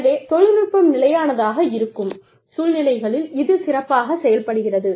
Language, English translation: Tamil, It works best in situations, where technology is stable